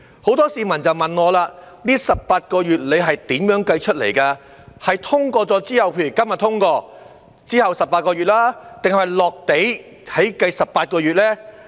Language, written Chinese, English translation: Cantonese, 很多市民也問我，這18個月是如何計算，是以《條例草案》通過後計，即今天通過後的18個月，還是"落地"起計的18個月呢？, Many members of the public have asked me how this 18 - month period is calculated whether it starts from date of the passage of the Bill which is today or the date of the actual implementation of the Bill